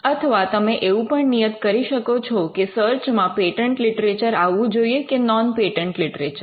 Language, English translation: Gujarati, So, or you could also you could also stipulate whether the search should contain patent literature and on patent literature